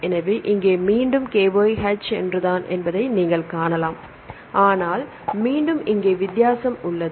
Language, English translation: Tamil, So, here again, you can see KYH is the same, but again here is the difference